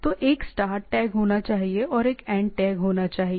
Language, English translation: Hindi, So, it is there should be a start tag, and there should be a end tag